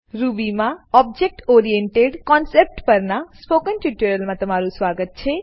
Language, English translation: Gujarati, Welcome to this spoken tutorial on Object Oriented Concept in Ruby